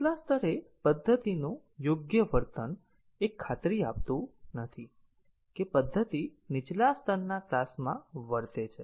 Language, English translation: Gujarati, So, the correct behavior of a method at upper level does not guarantee that the method will behave at a lower level class